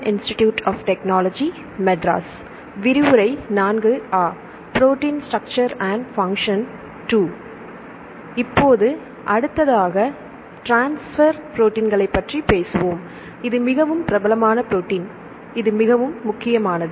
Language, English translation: Tamil, Now, this is a next one we will talk about transfer proteins and this is a very famous protein, this is very important